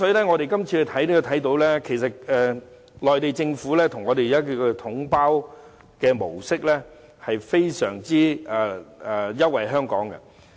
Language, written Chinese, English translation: Cantonese, 我們可以看到，內地政府將東江水以"統包總額"模式出售是非常優惠香港的。, We can see that the package deal lump sum approach adopted by the Mainland authorities in selling Dongjiang water is very favourable to Hong Kong